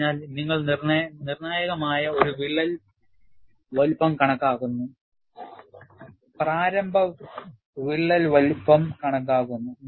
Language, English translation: Malayalam, So, you have a critical crack size estimated; initial crack size estimated